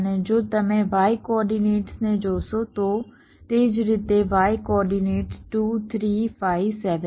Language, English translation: Gujarati, and if you look at the y coordinates, similarly, look at the y coordinates: two, three, five, seven